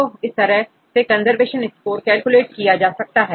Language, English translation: Hindi, So, now this is the method you can calculate the conservation score